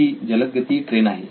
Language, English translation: Marathi, It is a fast train, high speed train